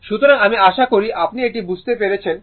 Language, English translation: Bengali, So, hope this is understandable to you